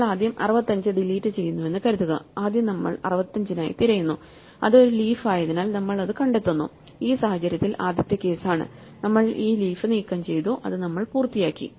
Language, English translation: Malayalam, So, supposing we first delete 65 then we first search for 65, we find it since it is a leaf then we are in this case the first case we just I have to remove this leaf and we are done